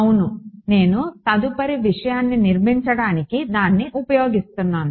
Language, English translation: Telugu, Yes, I am using that to built the next thing ok